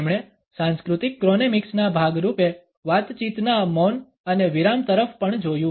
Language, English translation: Gujarati, He also looked at conversational silences and pauses as part of cultural chronemics